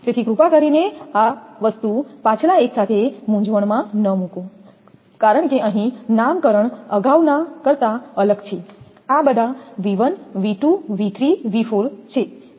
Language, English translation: Gujarati, So, please do not this thing confuse with the previous one because here nomenclature is different than the previous one these are all small v 1, small v 2, small v 3 small v 4